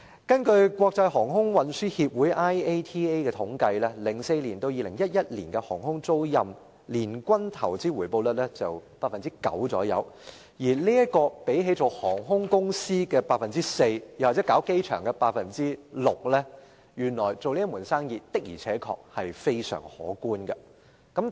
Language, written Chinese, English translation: Cantonese, 根據國際航空運輸協會統計 ，2004 年至2011年航空租賃年均投資回報率約為 9%， 相比於航空公司 4% 的回報率和機場 6% 的回報率，這門生意的回報真的相當可觀。, According to the statistics compiled by the International Air Transport Association the rate of annual average return on investment for aviation leasing during the period between 2004 and 2011 was about 9 % which is so much higher as compared with the 4 % of airlines and 6 % of airports